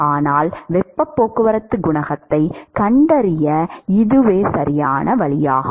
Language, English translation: Tamil, So, that is the definition for heat transport coefficient